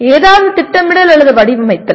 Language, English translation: Tamil, Plan or designing something